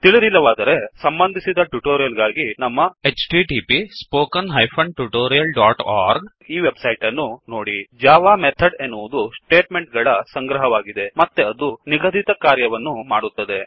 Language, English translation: Kannada, If not, for relevant tutorials please visit our website which is as shown, (http://www.spoken tutorial.org) A java method is a collection of statements that performs a specified operation